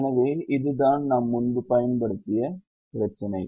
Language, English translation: Tamil, so this is the problem that we have used